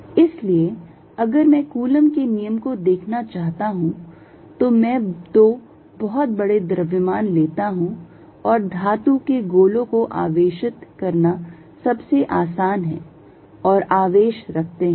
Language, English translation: Hindi, So, if I want to look at Coulomb's law I take too large masses and the easiest to charge are metallic spheres and put charge